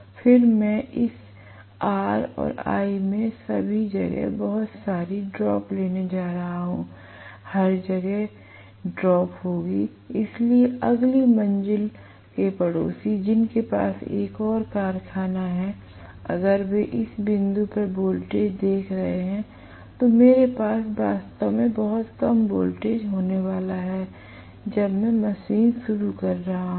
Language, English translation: Hindi, This is a large current, then I am going to have lot of drop taking place all over in all this R and l, everywhere there will be drop taking place, so a next floor neighbour who has another factory probably, if they are looking at the voltage at this point, I am going to have really much lower voltage when I am starting the machine